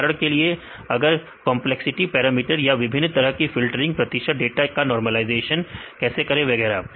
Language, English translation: Hindi, For example, if complexity parameters or the different types of filtering; how to normalize the training data and so on